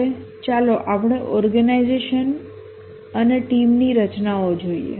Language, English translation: Gujarati, Now let's look at the organization and team structures